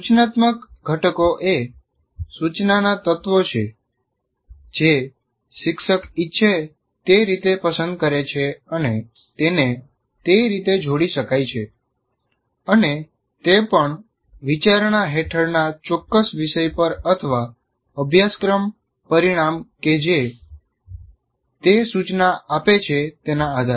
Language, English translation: Gujarati, And the instructional components are, you can say, elements of instruction that can be combined in the way the teacher prefers and also depending on the particular topic under consideration or the course outcome that you are instructing in